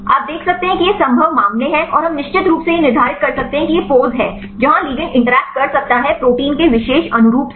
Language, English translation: Hindi, You can see these are the possible cases and we can exactly determine this is the pose where the ligand can interact with the particular conformation of the protein